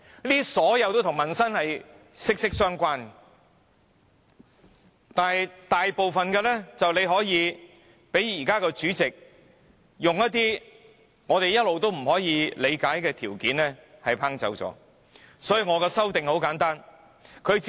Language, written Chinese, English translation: Cantonese, 這些均與民生息息相關，但現時大部分均可被主席以一些我們一直不能理解的條件否決而不能提出。, All these issues are closely related to the peoples livelihood but applications for asking urgent questions about them can now mostly be rejected by the President for some incomprehensible reasons